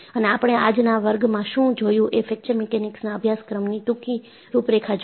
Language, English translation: Gujarati, And, what we have seen in today’s class was, a brief outline of, what is the course on Fracture Mechanics